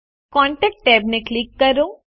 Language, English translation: Gujarati, Click the Contact tab